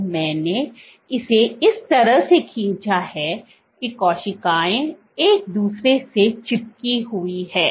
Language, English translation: Hindi, So, the way I have drawn this that cells are sticking to each other